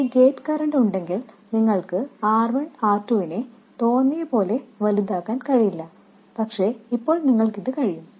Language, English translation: Malayalam, You will see that if there is a gate current then you can't make R1 and R2 arbitrarily large but now you can